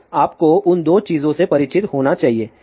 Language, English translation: Hindi, So, you should be familiar with both that things